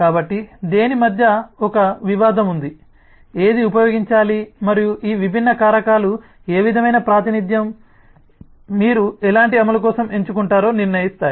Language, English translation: Telugu, so there is a tradeoff between what, which one should be used, and these different factors will decide what kind of representation, what kind of implementation you will choose for